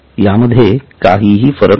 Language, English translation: Marathi, There is no difference as such